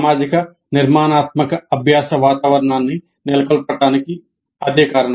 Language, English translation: Telugu, And that is the reason for establishing social constructivist learning environment